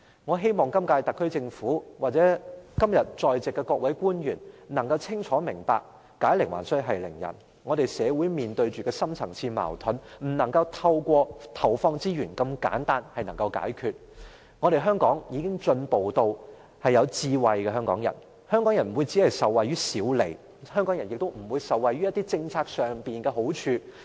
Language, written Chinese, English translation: Cantonese, 我希望今屆特區政府或今天在席的各位官員能清楚明白解鈴還須繫鈴人，香港社會面對的深層次矛盾不能透過投放資源這麼簡單的方法來解決，香港已進步，香港人擁有智慧，香港人不會只顧受惠於小利，香港人也不會只顧受惠於政策上的好處。, I hope that this SAR Government or the various public officers in this Chamber today can understand what I mean . Hong Kong is now facing deep - seeded conflicts which cannot be resolved simply by the injection of resources . Hong Kong has progressed and Hong Kong people are intelligent